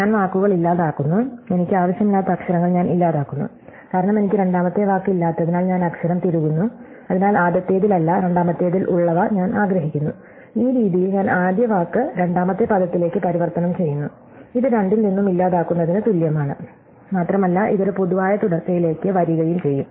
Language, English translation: Malayalam, So, I delete the words, I delete the letters I do not want, because I not have a second word and I insert the letter, so I do want which are there in the second not in the first and in this way I transform the first word to the second word and this is equivalent to deleting from both and come it to a common subsequence